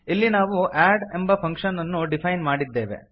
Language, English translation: Kannada, Here we have defined a function called add